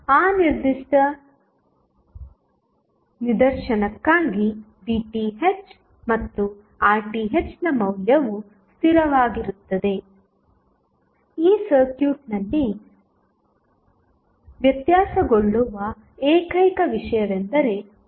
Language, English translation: Kannada, So, for that particular instance the value of Rth and Pth will remain fixed, the only thing which is variable in this circuit is Rl